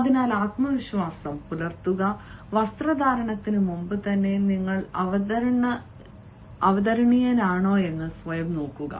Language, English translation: Malayalam, so have the confidence and even before dressing, you look at yourselves whether you are looking presentable